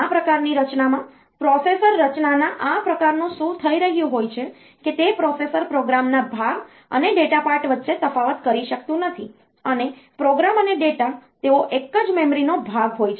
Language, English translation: Gujarati, In this type of organization, this type of processor organization what is happening is that the processor is cannot distinguish between the program part and the data part and the program and data they are part of the same memory